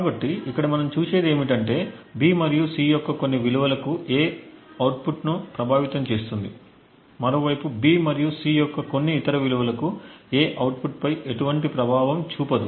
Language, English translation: Telugu, So, what we see over here is that for certain values of B and C, A influences the output, while on the other hand for certain other values of B and C, A has no influence on the output